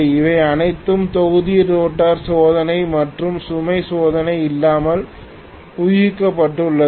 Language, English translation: Tamil, All of them have been inferred using block rotor test and no load test